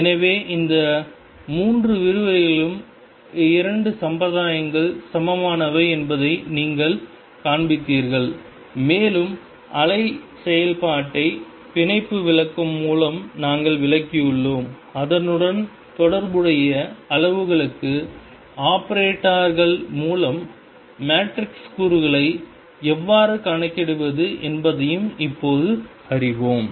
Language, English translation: Tamil, So now, you shown in these three lectures that the 2 formalisms are equivalent and we have also interpreted the wave function through bonds interpretation; and we have also now know how to calculate the matrix elements through operators for the corresponding quantities